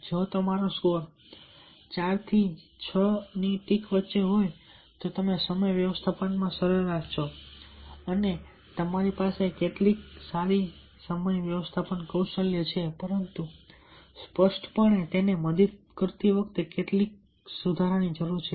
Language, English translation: Gujarati, if your score is between four and six, you are average in time management and your average in have some good time management skills, but clearly it need some improvement